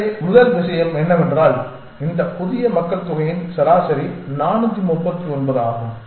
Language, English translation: Tamil, So, the first thing is that average for this new population is 439